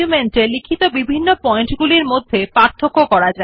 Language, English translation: Bengali, This way one can distinguish between different points written in the document